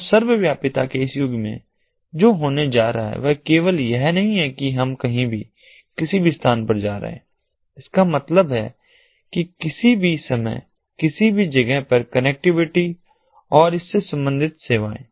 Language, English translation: Hindi, so in this era of ubiquity, what is going to happen is not only that we are going to have anywhere, any place that means any place, any time connectivity or services relating to connectivity